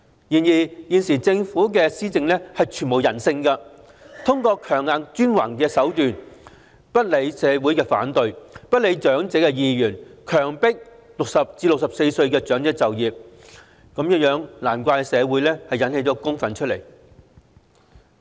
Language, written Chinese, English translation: Cantonese, 然而，現時政府的施政全無人性，通過強硬專橫的手段，不理社會反對和長者意願，強迫60歲至64歲的長者就業，難怪引起社會公憤。, But the existing policies of the Government are downright inhumane . Taking a high - handed approach it has forced elderly persons aged between 60 and 64 to work notwithstanding opposition in the community and the wishes of the elderly . No wonder a public outcry has been induced